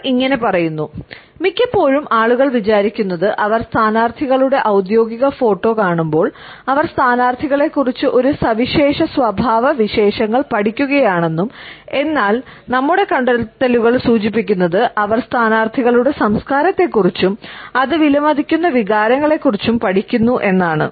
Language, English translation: Malayalam, Often people think that when they are viewing our candidates official photo, they are learning about the candidates a unique traits, but our findings suggest that they are also learning about the candidates culture and the emotions it values